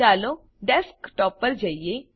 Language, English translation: Gujarati, Lets go to the Desktop